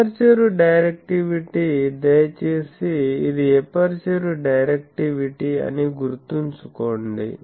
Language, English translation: Telugu, Aperture directivity; please remember this is aperture directivity